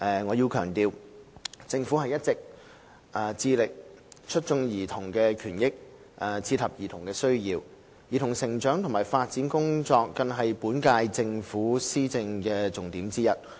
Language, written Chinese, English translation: Cantonese, 我要強調，政府一直致力促進兒童的權益，切合兒童的需要；兒童成長及發展工作更是本屆政府的施政重點之一。, I must stress that the Government has been striving for the promotion of childrens interests and rights while catering to their needs with the work on childrens growth and development being one of the priorities of administration of the current - term Government